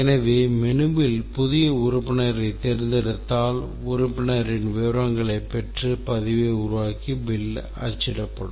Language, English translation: Tamil, So, during the menu if we select the new member, the actions taken is get the details of the member, create the record and print the bill